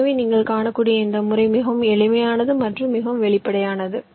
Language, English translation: Tamil, so this method, ah you can see, is very simple and, ah, pretty obvious